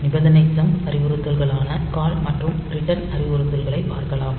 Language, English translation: Tamil, unconditional jump instruction, then the conditional jump instruction, and call and return instructions